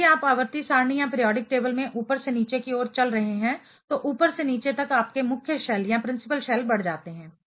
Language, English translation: Hindi, So, if you are walking from top to bottom in a periodic table, top to bottom your principal shell increases